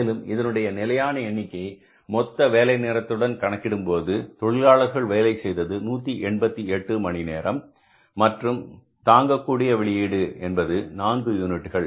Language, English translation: Tamil, And if you go by these standards, that total number of hours for which actually the labor worked was 188 hours and per hour output was how many 4 units